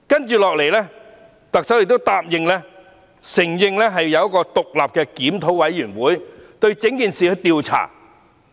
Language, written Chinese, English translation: Cantonese, 接着，特首亦答應成立一個獨立檢討委員會調查整件事件。, In addition the Chief Executive has also promised to set up an independent review committee to inquire into the entire incident